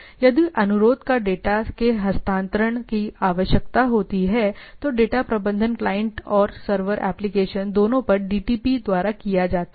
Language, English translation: Hindi, If the request require the transfer of data if there is a data transfer involved, the data management is performed by this DTPs, right both the end and both the client server applications, right